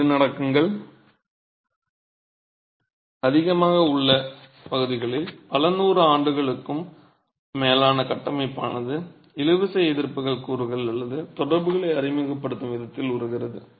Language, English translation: Tamil, In regions where earthquakes are prevalent the structure over several hundred years evolves in a manner that tensile resisting elements or ties are introduced such that the structure works together